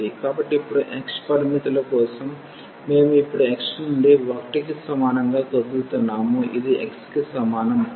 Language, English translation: Telugu, So, now, for the limits of x, we are now moving from x is equal to 1 this is the line x is equal to 1